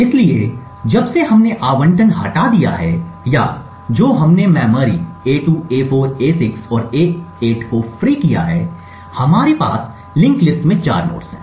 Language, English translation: Hindi, So, since we have deallocated or which since we have freed 4 chunks of memory a2, a4, a6 and a8 we have 4 nodes in the linked list